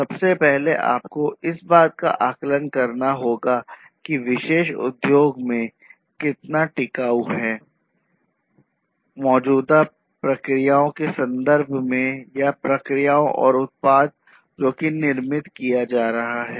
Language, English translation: Hindi, First of all you have to assess how much sustainable that in particular industry is in terms of it is processes that are existing or the processes or the product that is being manufactured